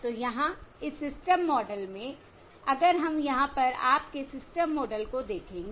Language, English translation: Hindi, So here in this system model, if we will look at your system model over here, I can in general have